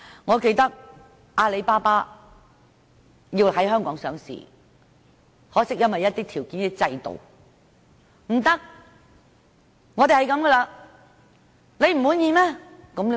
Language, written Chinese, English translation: Cantonese, 我記得阿里巴巴曾希望在香港上市，可惜因為一些條件和制度不合，最終不能在港上市。, I recall that Alibaba once wished to be listed in Hong Kong but unfortunately due to the non - compliance of certain conditions and systems it could not be listed in Hong Kong